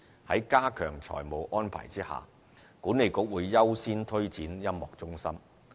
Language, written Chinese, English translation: Cantonese, 在加強財務安排下，管理局會優先推展音樂中心。, With an enhanced financial arrangement the Authority is going to prioritize the rollout of the Music Centre